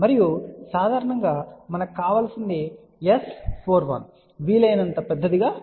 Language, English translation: Telugu, And generally what we want is that S 4 1 should be as large as possible